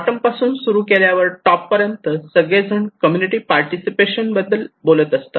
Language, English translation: Marathi, But starting from the bottom to the top bottom to the top, everybody is saying that I am doing community participations